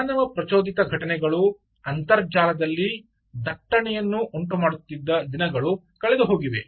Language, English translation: Kannada, gone are the days where humans were human action or human, human triggered events was generating traffic on the internet